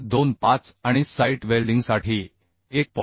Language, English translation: Marathi, 25 for shop welding and 1